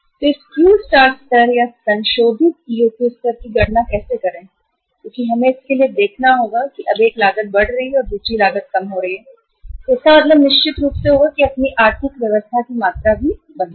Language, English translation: Hindi, So how to calculate this Q star level or the revised EOQ level we will have to look for it because now the one cost is going up and the another cost is going down so it means certainly it will change your economic order quantity also